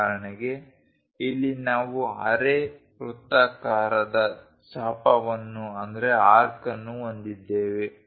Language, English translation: Kannada, For example, here we have a semi circular arc